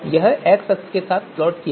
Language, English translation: Hindi, This is going to be plotted along the you know x axis